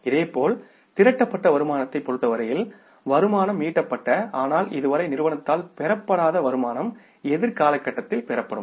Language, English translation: Tamil, Similarly in case of the accrued incomes, income which has been earned but not yet received by the firm they will be received in the future period